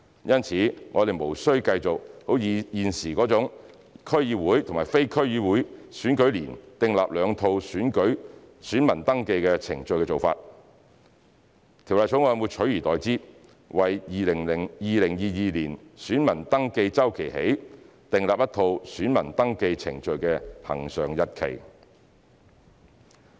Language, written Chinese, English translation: Cantonese, 因此，我們無需繼續現時為區議會及非區議會選舉年訂立兩套選民登記程序的做法，取而代之的是《條例草案》會自2022年選民登記周期起，訂立一套選民登記程序的恆常日期。, As such there is no need to specify two sets of VR procedures applicable to DC election years and non - DC election years . Instead the Bill has provided that starting from the VR cycle of 2022 one set of regular dates will be adopted in the VR process